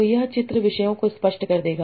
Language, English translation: Hindi, So this picture will make things more clearer